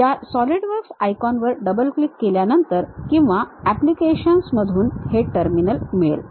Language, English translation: Marathi, After double clicking these Solidworks icon either here or from the applications we will have this terminal